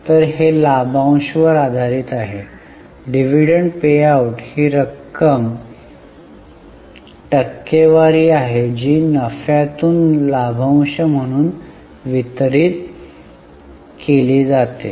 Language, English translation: Marathi, Sorry, dividend payout is a percentage of the amount which is distributed as a dividend from the profits